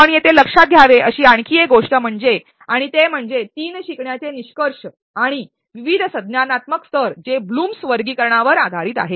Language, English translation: Marathi, There is one more thing that you should notice here and that is that the three learning outcomes are and different cognitive levels which is based on the blooms taxonomy